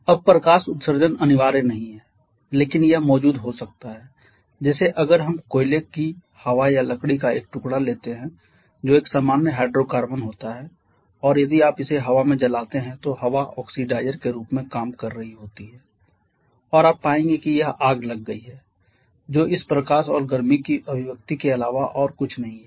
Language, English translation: Hindi, Now light emission is not compulsory but it can be present like if we take a piece of coal air or a piece of wood which is a common hydrocarbon and if you burn it in air then the air is acting as the oxidizer and you will find that the fire has come up which is nothing but this manifestation of this light and heat